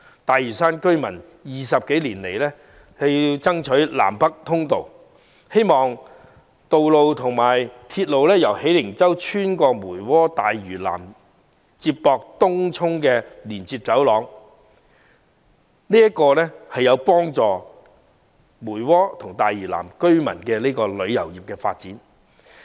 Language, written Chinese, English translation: Cantonese, 大嶼山居民20多年來爭取興建南北通道，希望建設道路和鐵路，建成由喜靈洲穿越梅窩和大嶼南至東涌的連接走廊，因為這將有助梅窩和大嶼南的旅遊業發展。, For some 20 years Lantau residents have been fighting for a north - south link with the construction of roads and railways so that a road link connecting Hei Ling Chau and Tung Chung via Mui Wo and South Lantau may be built as it will boost the tourism development of Mui Wo and South Lantau